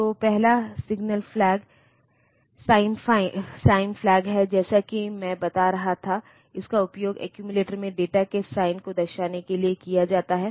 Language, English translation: Hindi, So, first one is the sign flag as I was telling that it is used for indicating the sign of the data in the accumulator